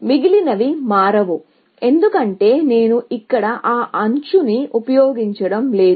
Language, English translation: Telugu, The rest will not change, because I am not using that edge here, essentially